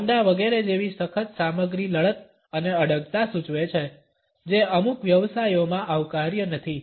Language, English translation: Gujarati, Hard materials like leather etcetera suggest a belligerence and assertiveness which is not welcome in certain professions